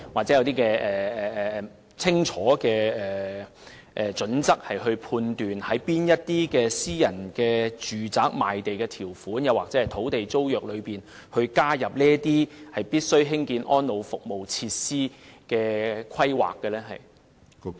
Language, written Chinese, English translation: Cantonese, 是否訂有清楚準則，以決定在哪些私人住宅項目的賣地條款或土地租約加入興建安老服務設施的規定？, Will there be clear standards for deciding which private residential developments will be imposed with the requirement for providing elderly service facilities in their conditions of sale or land leases?